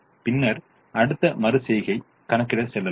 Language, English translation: Tamil, then we move to the next iteration